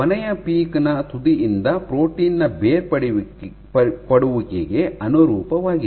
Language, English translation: Kannada, The last peak, this peak corresponds to detachment of protein from tip